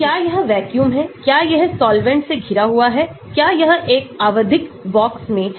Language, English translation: Hindi, Is it vacuum, is it surrounded by solvents, is it in a periodic box